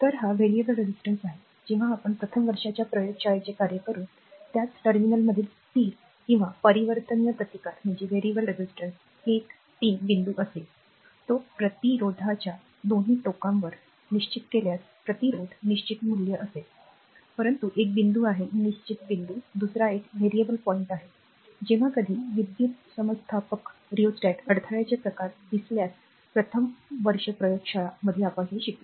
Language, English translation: Marathi, So, this is actually variable resistance; so when we will do first year laboratory, you will see the fixed or variable resistance in the same one terminal will be 1 3 point if we fixed it on the both the end of the resistance a resistor will find is a fixed value, but one point is a fixed point another is a variable point, when we will do first year laboratory if the barrier type of rheostat you will see this